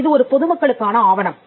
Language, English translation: Tamil, This is a public document